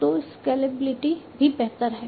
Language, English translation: Hindi, So, the scalability is also much better